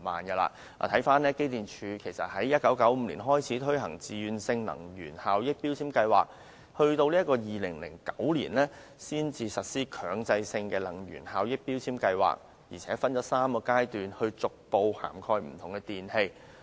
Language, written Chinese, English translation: Cantonese, 機電工程署在1995年開始推行自願性能源效益標籤計劃，到2009年才實施強制性標籤計劃，又分3個階段逐步涵蓋不同的電器。, The Electrical and Mechanical Services Department EMSD launched the Voluntary Energy Efficiency Labelling Scheme VEELS in 1995 but it was not until 2009 that MEELS was implemented . MEELS will be implemented in three phases to gradually cover various electrical appliances